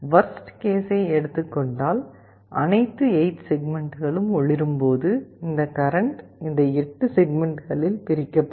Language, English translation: Tamil, In the worst case, when all the 8 segments are glowing this current will be divided among these 8 segments